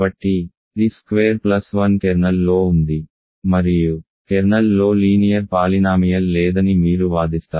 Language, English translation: Telugu, So, t squared plus 1 is in the kernel and you argue that there is no linear polynomial in the kernel